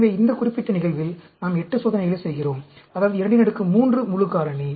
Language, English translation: Tamil, So, in this particular case, we are doing 8 experiments; that is, 2 power 3 full factorial